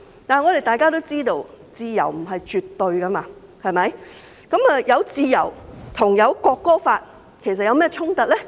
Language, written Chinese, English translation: Cantonese, 但我們都知道自由不是絕對的，自由跟《條例草案》有何衝突呢？, But we all know that freedom is not absolute . What is the conflict between freedom and the Bill?